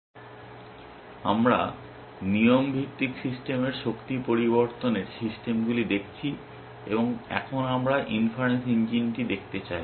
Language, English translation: Bengali, So, we are looking at rule based systems power changing systems, and now we want to look at the inference engine